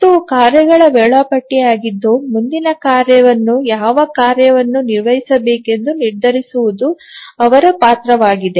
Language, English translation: Kannada, So, it is the task scheduler whose role is to decide which task to be executed next